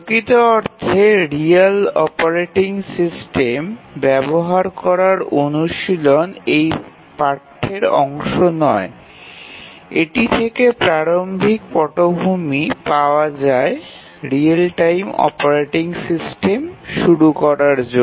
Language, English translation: Bengali, The practice using a actual real operating system is not part of this course, it just gives an overview background to get started with real time operating system issues